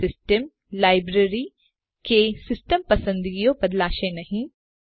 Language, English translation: Gujarati, No system library or system preferences are altered